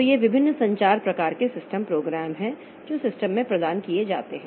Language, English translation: Hindi, So, these are various communication type of system programs that are provided in the system